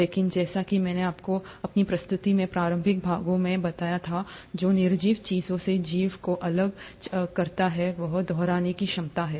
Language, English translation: Hindi, But, as I told you in the initial part of my presentation, what sets apart life from the non living things is the ability to replicate